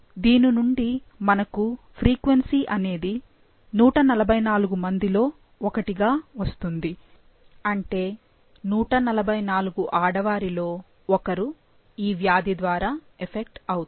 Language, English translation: Telugu, So, this gives you the frequency for 1 in 144 females would be affected by the, by this disease